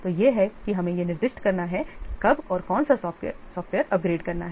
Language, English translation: Hindi, So, this is how we have to specify when to upgrade and which software